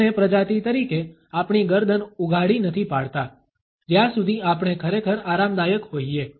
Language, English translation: Gujarati, We as a species do not expose our necks, unless we were really comfortable